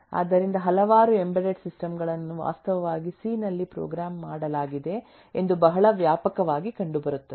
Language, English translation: Kannada, so it is very widely found that several of embedded systems are actually programmed in c